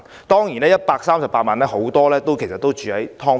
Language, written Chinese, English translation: Cantonese, 當然，在這138萬人中，很多人也住在"劏房"。, Certainly among these 1.38 million people many are living in subdivided units